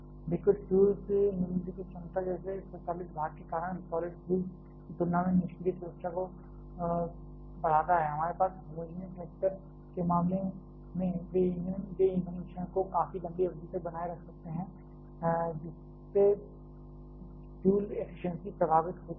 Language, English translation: Hindi, Liquid fuel enhances the passive safety compared to solid fuels because of automatic load following capability like; we have in case of homogenous reactor, they can also retain the fuel mixture for significantly longer period thereby effecting the fuel efficiency